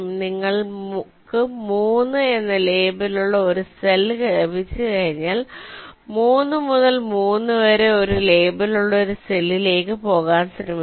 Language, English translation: Malayalam, ok, so once you have a cell with a label of three, from three we will try to go to a cell with a label of one less two